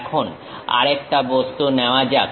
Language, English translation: Bengali, Now, let us pick another object